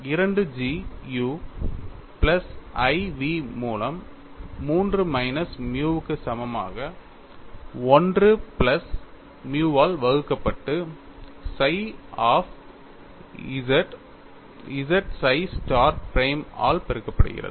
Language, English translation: Tamil, 2G multiplied by u plus iv equal to 3 minus nu divided by 1 plus nu multiplied by psi of z z psi star prime